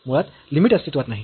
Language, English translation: Marathi, In fact, the limit does not exist